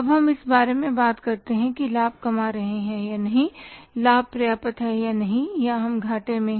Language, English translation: Hindi, Now we talk about that if we are say earning the profit whether profit is sufficient or not we are into the losses